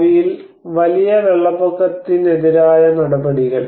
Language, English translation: Malayalam, The future measures against major floods